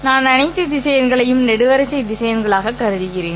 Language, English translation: Tamil, And I want these numbers in a particular fashion which is called as a column vector